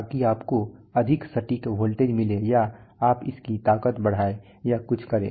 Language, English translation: Hindi, So that you get more accurate voltages or you increase its strength or do something